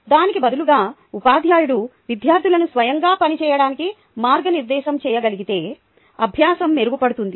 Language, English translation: Telugu, instead of that, if the teacher can guide the students to work, they work it out themselves